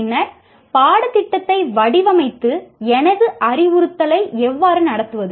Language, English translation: Tamil, Then having designed the course, how do I conduct my instruction